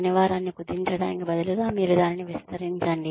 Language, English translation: Telugu, May be sort of, instead of shrinking the work week, you expand it